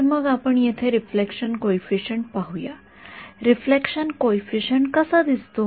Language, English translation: Marathi, So, let us look at the reflection coefficient over here what is this reflection coefficient look like